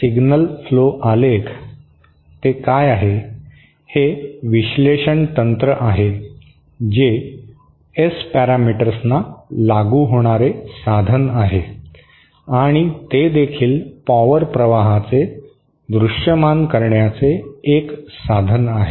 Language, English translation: Marathi, So, signal flow graphs, what is it, it is an analysis technique applicable to S parameters a means to and also it is a means to visualize the power flow